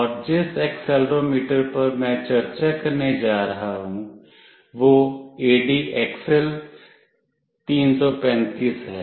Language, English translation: Hindi, And the accelerometer that I will be discussing is ADXL 335